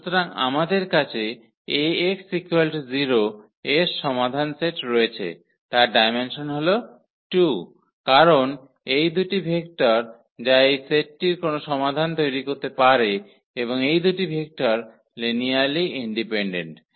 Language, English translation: Bengali, So, the solution set of Ax is equal to 0 we have the dimension 2, because these are the two vectors which can generate any solution of this set and these two vectors are linearly independent